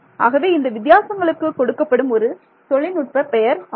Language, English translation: Tamil, So, this is the technical name given to this kind of a difference